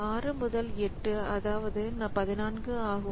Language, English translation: Tamil, So 6 to 8 that is 14